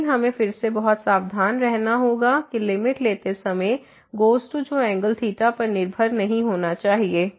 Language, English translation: Hindi, But we have to be again very careful that while taking the limit as goes to 0 that should not depend on the angle theta